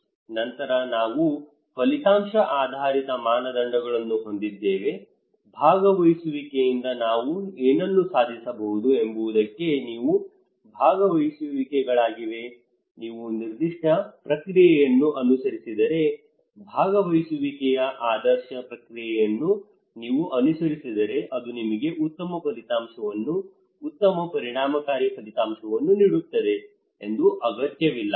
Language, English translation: Kannada, Then we have outcome based criteria; these are participations from what we can achieve from the participations what are the outcomes it not necessary that if you follow a particular process an ideal process of participation it not necessary that it would deliver you a good outcome good effective outcome